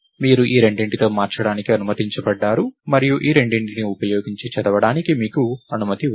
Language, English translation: Telugu, So, you are allowed to change with these two and you are allowed to read using these two